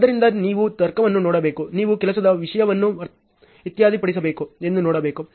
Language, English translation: Kannada, So, you have to look at the logic, you have to look at the work content has been settled